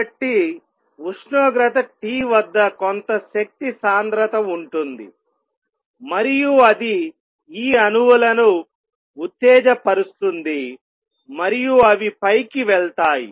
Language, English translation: Telugu, So, at temperature T there exists some energy density and that makes these atoms excite and they go up